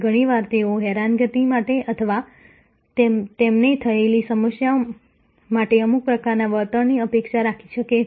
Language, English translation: Gujarati, Often, they may expect some kind of compensation for the harassment or for the problem they have had